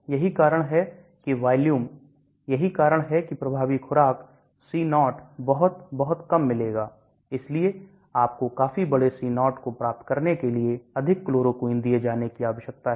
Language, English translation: Hindi, That is why the volume, that is why the effective dosage the C0 will get very, very low, so you need to be given more chloroquine to achieve a considerable large C0